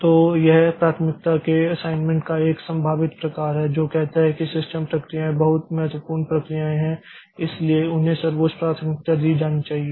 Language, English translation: Hindi, So, this is one possible type of priority assignment which says that the system processes are very important processes so they must be given the highest priority